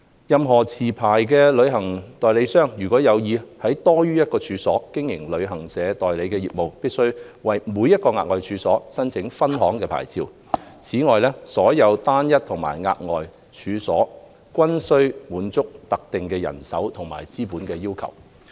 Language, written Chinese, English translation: Cantonese, 任何持牌旅行代理商，如有意在多於一個處所經營旅行代理商業務，必須為每個額外處所申請分行牌照。此外，所有單一和額外處所均須滿足特定人手和資本要求。, A licensed travel agent who intends to carry on travel agent business on more than one premises must apply for a branch licence for each additional premises and meet the specified staffing and capital requirements for each and every additional premises